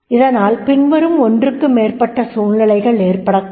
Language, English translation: Tamil, So, one example has been given one or more of the following situations could occur